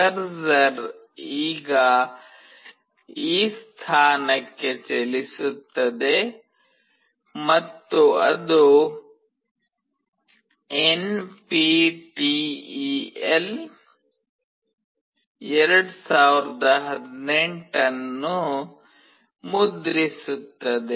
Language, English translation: Kannada, The cursor will now move to this position and it will print NPTEL 2018